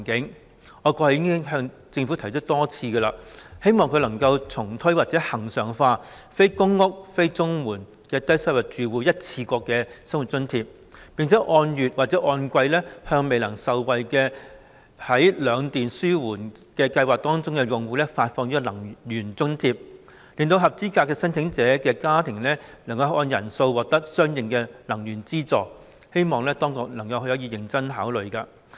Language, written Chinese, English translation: Cantonese, 其實，我過去已多次向政府提出，希望可以重推或恆常化"非公屋、非綜援的低收入住戶一次過生活津貼"，並按月或按季向未能受惠於兩電紓緩計劃的用戶發放能源津貼，使合資格申請者可按家庭人數獲得相應的能源資助，希望當局可以認真考慮。, In fact I have expressed to the Government a number of times my hope that the One - off Living Subsidy for Low - income Households Not Living in Public Housing and Not Receiving CSSA can be reintroduced or regularised and that monthly or quarterly subsidy on energy expenses can be issued to clients who cannot benefit from the Electricity Charges Relief Scheme so that eligible applicants can receive the corresponding amount of subsidy on energy expenses according to the number of family members . I hope the authorities can consider this seriously